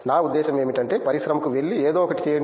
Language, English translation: Telugu, I mean actually go to the industry try and do something